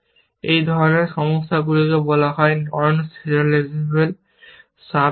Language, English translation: Bengali, Such problems are called non serializable sub goals, essentially